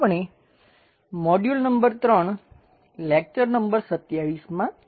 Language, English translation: Gujarati, We are in module number 3 and lecture number 27